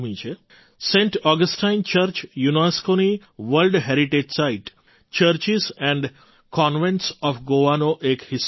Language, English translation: Gujarati, Saint Augustine Church is a UNESCO's World Heritage Site a part of the Churches and Convents of Goa